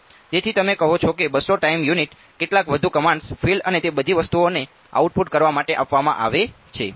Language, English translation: Gujarati, So, you say 200 time units some more commands are given to output the fields and all of those things ok